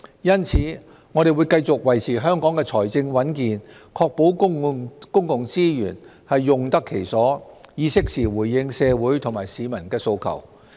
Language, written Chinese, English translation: Cantonese, 因此，我們會繼續維持香港的財政穩健，確保公共資源用得其所，以適時回應社會和市民的訴求。, Hence we will seek to maintain Hong Kongs fiscal stability and ensure optimal use of public resources with a view to making timely responses to the aspirations of society and members of the public